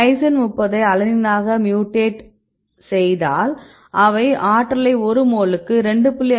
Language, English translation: Tamil, So, here they mutated lysine 30 into alanine and they reduce the free energy of 2